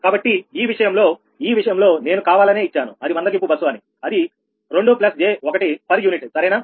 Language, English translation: Telugu, but in this case, in this case i have just given it intentionally that are slack bus to plus j one per unit, right